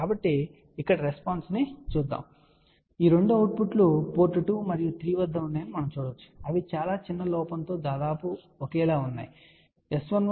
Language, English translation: Telugu, So, let us see the response here, ok you can see that these two are outputs at port 2 and 3 you can say that they are almost identical within very small error